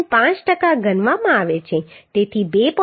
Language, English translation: Gujarati, 5 percent of the load so 2